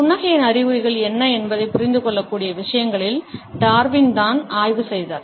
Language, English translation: Tamil, It was Darwin who had initiated is studied in what can be understood is the signs of a smiling